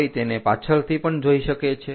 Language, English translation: Gujarati, One can look from back also